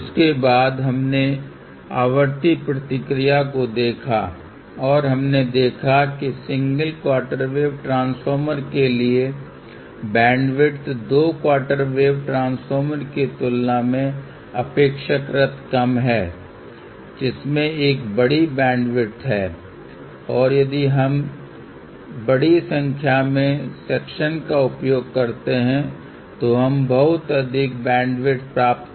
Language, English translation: Hindi, After that we saw the frequency response and we had seen that for a single quarter wave transformer, bandwidth is relatively less compared to two quarter wave transformer which has a larger bandwidth and if we use larger number of sections, we can get a much broader bandwidth and it also mention that you can use tapered line or exponentially tapered line to realize much larger bandwidth